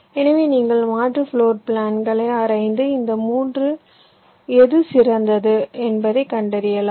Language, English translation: Tamil, so you can explore the alternate floor plans and find out which one of these three is the best